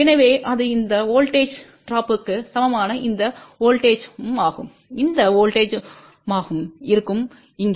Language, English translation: Tamil, So, that will be this voltage equal to this voltage drop plus this voltage over here